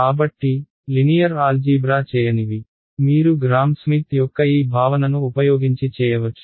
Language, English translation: Telugu, So, those who have few who have not done linear algebra you can revise this concept of Gram Schmidt